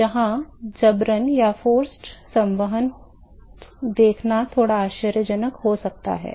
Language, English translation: Hindi, So, it might be a bit surprising to see forced convection here